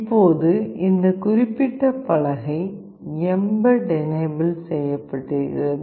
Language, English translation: Tamil, Now this particular board is mbed enabled